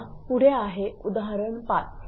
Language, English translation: Marathi, Next is this example this is example 5